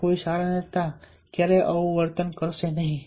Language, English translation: Gujarati, no, good leaders will never act like this